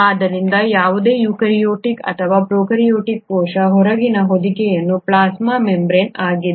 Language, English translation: Kannada, So the outermost covering of any eukaryotic or prokaryotic cell is the plasma membrane